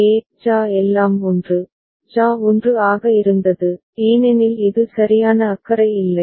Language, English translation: Tamil, For example, JA; JA was all 1, JA was 1 because this was a don’t care right